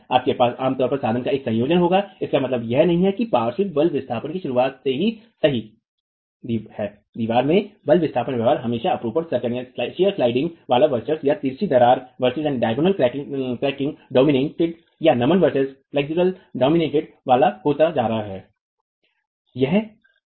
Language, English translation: Hindi, You will get, it does not mean that right from the beginning of the lateral force displacement, force displacement behavior of the wall that is always going to be shear sliding dominated or diagonal cracking dominated or flexure dominated